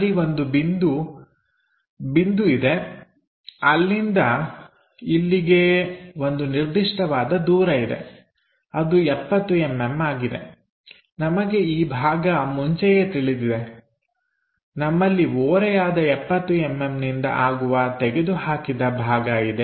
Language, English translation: Kannada, There is a point there which is at certain distance from here to there that is 70 mm, we already know this part we have that incline cut going by 70 mm